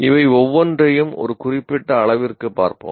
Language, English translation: Tamil, Let us look at each one of these to a limited extent